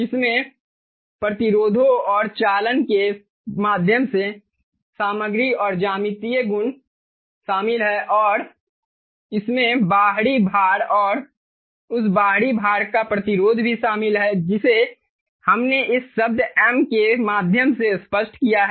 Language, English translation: Hindi, it includes the material and geometric properties through the resistances and conductances, and it also includes what is the external load and the resistance of that external load that we, as that we have put through this term m clear